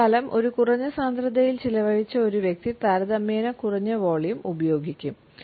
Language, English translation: Malayalam, In comparison to a person who has spent lifetime in a density or tend to use a relatively low volume